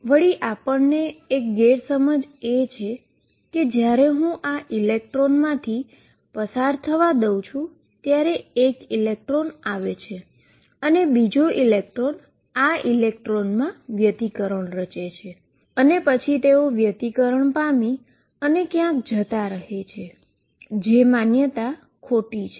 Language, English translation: Gujarati, The misconception is that when I let these electrons go through one electron comes and the second electron interferes with this electron and then they interfere and go somewhere that is a misconception